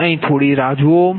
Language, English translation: Gujarati, just hold on here